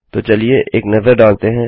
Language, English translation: Hindi, So lets have a look